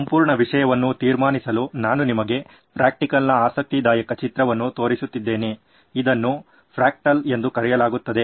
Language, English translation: Kannada, Just to conclude this whole thing I am showing you interesting picture of a fractal, this is called a fractal